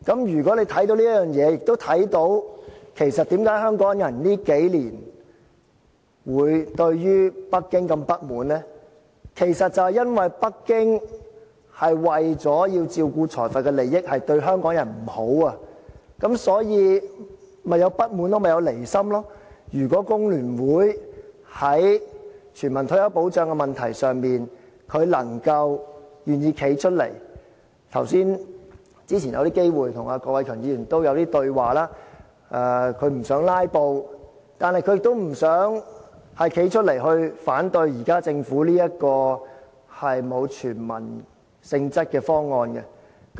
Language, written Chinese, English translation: Cantonese, 如果你看到這一點，亦看到為甚麼香港人這數年對北京這麼不滿，是因為北京為了照顧財閥的利益，對香港人不好，所以，香港人便產生不滿，有離心。如果工聯會在全民退休保障這個問題上，願意站出來——早前有機會跟郭偉强議員交談，他表示不想"拉布"，但亦不想站出來反對政府現在這個沒有全民性質的方案。, If FTU can also see this point and realizes that Hong Kong peoples strong discontent with Beijing over the past few years has actually stemmed from Beijings protection of plutocrats interests and its ill treatment of Hong Kong people If it can also see that all this has caused discontent and separatist tendencies among Hong Kong people If FTU is willing to stand forward on the issue of universal retirement protection But earlier on when I had an opportunity to discuss with Mr KWOK Wai - keung he said that he did not want to filibuster on this issue or openly oppose the Governments present proposal which does not contain any elements of universal retirement protection